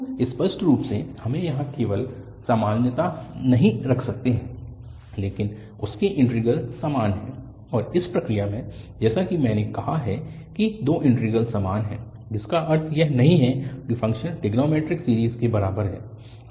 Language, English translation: Hindi, So, obviously we cannot just have equality there but their integrals are equal and in the process, as I have said that the two integrals are equal which does not imply that the function is equal to the trigonometric series